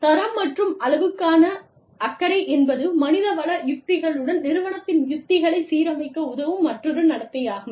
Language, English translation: Tamil, Concern for quality and quantity is another behavior, that helps the HR strategies, align with the strategies of the organization